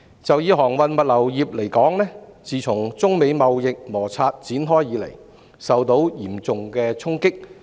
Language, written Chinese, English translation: Cantonese, 就航運物流業而言，自中美貿易摩擦展開以來，該行業受到嚴重衝擊。, In respect of transport and logistics the sector has been seriously impacted since the onset of the trade friction between China and the United States